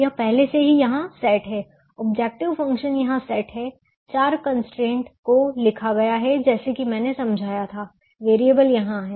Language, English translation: Hindi, its already said here the objective function is set, here the four constraints, or return as i to explain the variables, are here